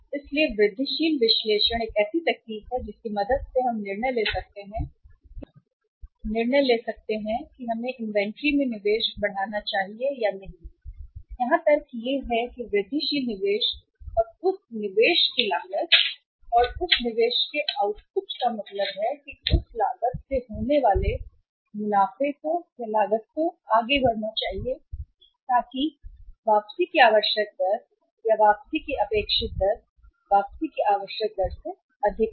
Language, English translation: Hindi, So incremental analysis is one such technique with the help of which we can take a decision whether we should increase the investment in the inventory or not and the logic here is that the incremental investment and the cost of that investment and the output of that investment means the profits coming out of that the profits must outweigh the cost so that the required rate of return or the expected rate of return is higher than the required rate of return